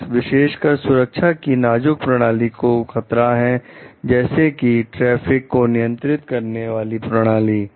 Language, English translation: Hindi, Bugs especially likely to threaten safety in safety critical systems such as traffic control systems